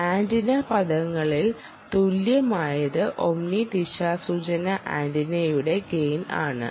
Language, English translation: Malayalam, it is the gain of the omni directional antenna